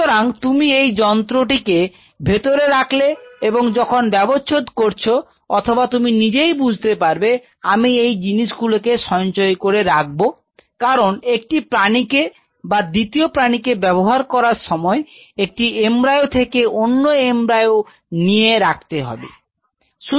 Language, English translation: Bengali, So, you get this instrument inside, and while you are dissecting or automatically you may feel like you know, if I could restore lies because from one animal to second animal from one embryo to next embryo